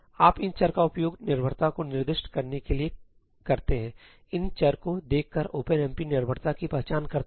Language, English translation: Hindi, You use these variables to specify the dependencies; looking at these variables OpenMP identifies the dependencies